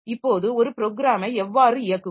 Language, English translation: Tamil, Now, how to run a program